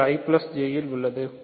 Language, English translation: Tamil, So, this is in I plus J ok